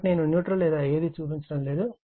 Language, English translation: Telugu, So, I am not showing a neutral or anything